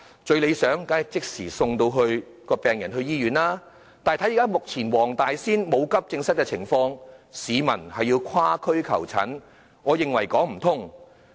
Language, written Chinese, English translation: Cantonese, 最理想的做法，當然是即時把病人送往醫院，但目前黃大仙區沒有急症室，市民要跨區求診，我認為是說不通的。, It is most desirable to send patients to the hospital immediately . Yet at present given the absence of an AE department in the Wong Tai Sin District people have to seek medical consultation in other districts . I think it does not make sense